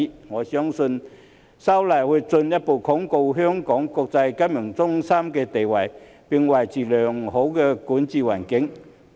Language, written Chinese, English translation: Cantonese, 我相信修例會進一步鞏固香港國際金融中心的地位，並維持良好的營商環境。, I believe that the legislative amendments will further consolidate Hong Kongs status as an international financial centre and maintain a favourable business environment